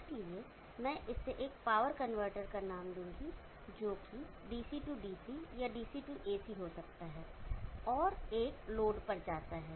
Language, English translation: Hindi, So I will just name it as a power convertor which could be DC DC or DC AC, and goes to a load